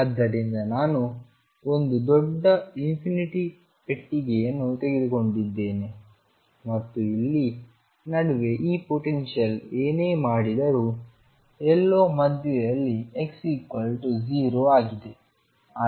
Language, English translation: Kannada, So, I have taken a huge infinite box and in between here is the potential no matter what the potential does and somewhere in the middle is my x equals 0